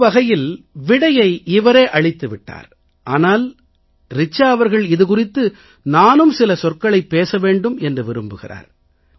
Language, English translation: Tamil, Although she herself has given the answer to her query, but Richa Ji wishes that I too must put forth my views on the matter